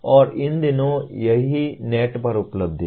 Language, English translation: Hindi, And these days it is available on the net